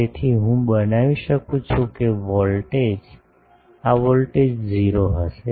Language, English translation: Gujarati, So, I can make that the voltage, this voltage will be 0